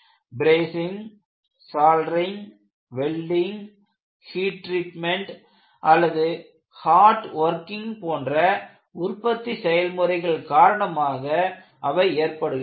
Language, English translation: Tamil, They may be introduced due to manufacturing processes such as brazing, soldering, welding, heat treatment, or hot working